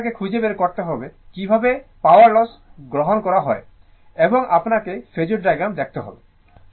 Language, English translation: Bengali, Then you have to find out calculate the power loss, and you have to show the phasor diagram right